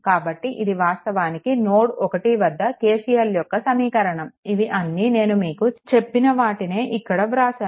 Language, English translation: Telugu, So, this is actually your at node 1 you apply your KCL the way I showed you, all these things I told here I am writing now right